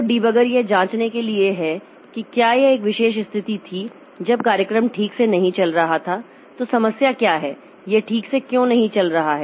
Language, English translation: Hindi, So, debugger is for checking whether there was why this particular situation has occurred when the program is not running properly, what is the problem, why is it not running properly